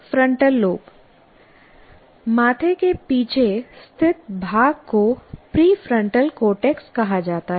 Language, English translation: Hindi, Frontal lobe, the part that lying behind the forehead is called prefrontal cortex